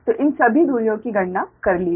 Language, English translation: Hindi, so all these distances are calculated